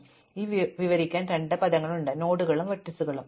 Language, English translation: Malayalam, So, there are two words to describe these, nodes and vertices